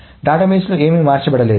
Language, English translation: Telugu, So nothing has been changed into the database